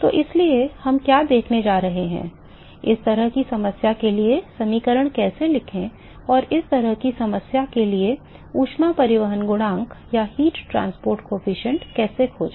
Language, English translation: Hindi, So, therefore, what we are going to see: how to write the equations for this kind of a problem and how to find heat transport coefficient for this kind of a problem